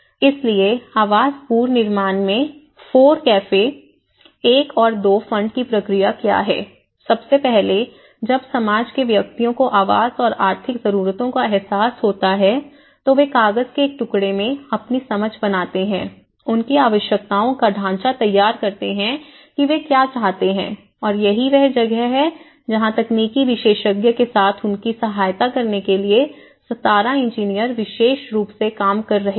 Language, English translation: Hindi, So how the process, so the process of FORECAFE 1 and 2 fund in the housing reconstruction, first, once the society the individuals when they realize the housing needs and economic needs so they actually made their understanding of their requirements in a piece of paper and they drafted that in what they want and that is where the engineers or specialists about 17 engineers were working in order to assist them with the technical expertise